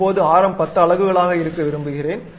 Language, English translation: Tamil, Now, I would like to have something like 10 radius units always be mm